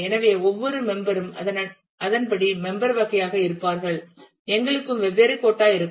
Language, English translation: Tamil, So, every member will according to it is member category we will have different quota